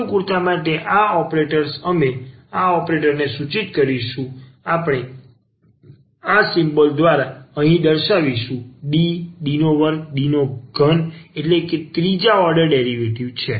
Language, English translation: Gujarati, And for the sake of convenience these operators we will denote these operators we will denote by this symbols here D here we will take this D square and D cube means this third order derivative